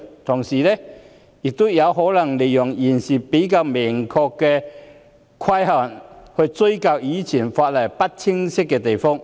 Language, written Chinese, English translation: Cantonese, 同時，有人可能利用現時比較明確的規限，追究以往法例不清晰的地方。, Meanwhile some people may also make use of the clearer regulations at present to pursue responsibilities for ambiguities in the previous legislation